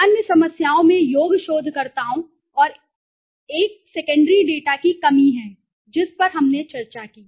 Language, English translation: Hindi, Other problems are lack of qualified researchers and interviewers one and the secondary data which we discussed